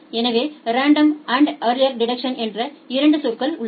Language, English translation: Tamil, So, there are 2 term random and early detection